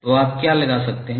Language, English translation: Hindi, So what you can apply